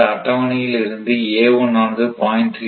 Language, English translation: Tamil, So, in that case it is 0